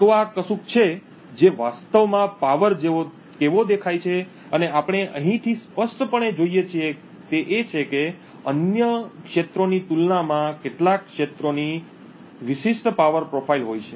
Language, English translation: Gujarati, So, this is something of what the power actually looks like and what we clearly see from here is that certain regions have a distinctively different power profile compared to other regions